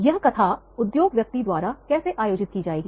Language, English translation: Hindi, How these narratives by the industry person that will be organized